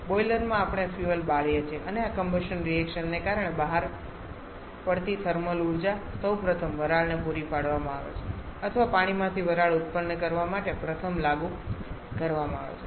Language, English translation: Gujarati, In the boiler we burned the fuel and the energy or thermal energy released because of this combustion reaction is first supplied to a steam or first applied to produce steam from water